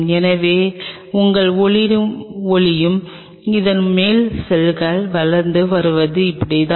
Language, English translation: Tamil, So, this is how your shining the light and the cells are growing on top of it